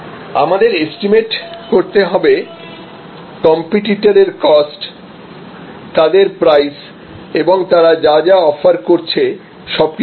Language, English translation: Bengali, We also have to analyze the competitors costs, competitors prices and the entire range of offering from the competitors